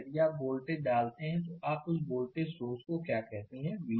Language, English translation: Hindi, If you put your voltage, your what you call that your voltage source V 0 right